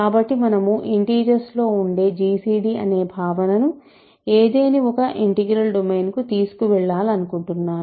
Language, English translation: Telugu, So, I want to carry over the notion that we have in integers namely gcd to an arbitrary integral domain